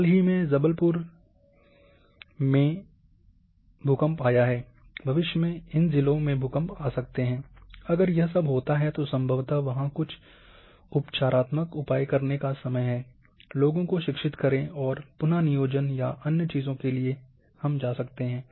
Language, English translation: Hindi, Recent earthquake in 97 Jabalpur has occurred, in future there might be some earthquakes may occur all in any of these districts, if at all it occurs then probably there is time to take certain remedial measures, educate the people and may go for retrofitting other things